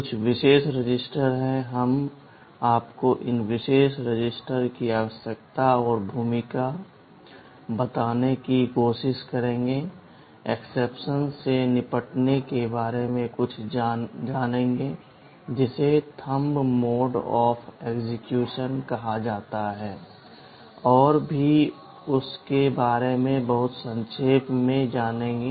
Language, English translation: Hindi, There are some special registers, we shall be trying to tell you the necessity and roles of these special register; something about exception handling and there is something called thumb mode of execution also very briefly about that